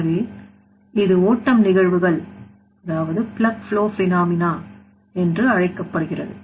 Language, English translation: Tamil, So, it is called plug flow phenomena